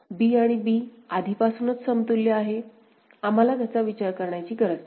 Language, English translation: Marathi, b and b are already equivalent, we do not need to consider that